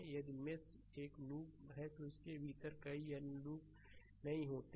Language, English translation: Hindi, If mesh is a loop it does not contain any other loop within it right